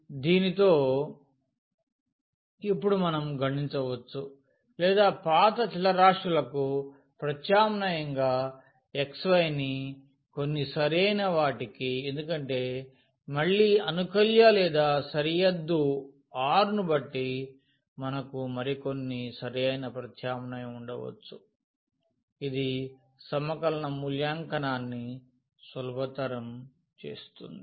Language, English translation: Telugu, So, with this now we can compute or we can substitute the old variables here x y to some suitable because depending on again the integrand or the region r we may have some other suitable substitution, which makes the integral evaluation easier